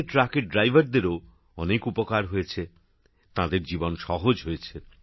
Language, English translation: Bengali, Drivers of trucks have also benefited a lot from this, their life has become easier